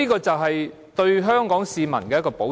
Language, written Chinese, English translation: Cantonese, 這是對香港市民的一個保障。, It is a safeguard for Hong Kong citizens